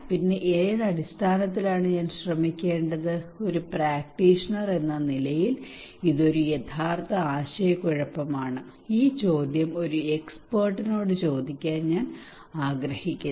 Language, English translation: Malayalam, Then which one I should try on what basis that is a real dilemma being a practitioner I would like to ask this question to the expert